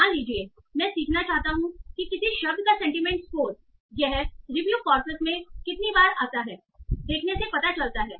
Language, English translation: Hindi, Suppose I want to learn what is the sentiment score of a word by seeing how often does that occur in a review corpus